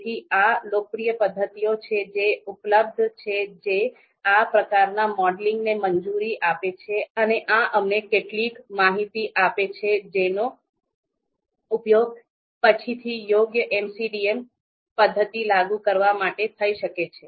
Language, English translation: Gujarati, So there are certain popular methods which are available which allow this modeling and gives us certain information which can be later on used to you know apply an appropriate MCDM method